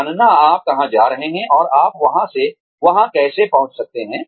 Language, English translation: Hindi, Knowing, where you are going, and how you can get there